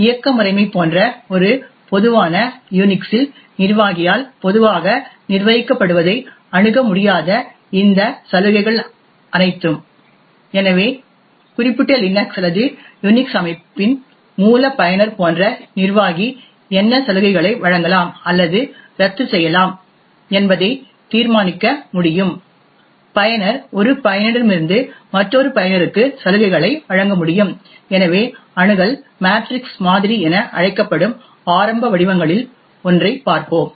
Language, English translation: Tamil, So in a typical UNIX like operating system all of this privileges of who cannot access what is typically managed by the administrator, so the administrator such as the root user of the particular Linux or UNIX system can decide what privileges can be granted or revoked, users would be able to pass on privileges from one user to another, so we will look at one of the earliest forms which is known as the Access Matrix model